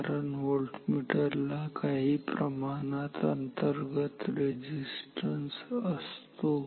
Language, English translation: Marathi, So, if be why that is so, because the voltmeter has some internal resistance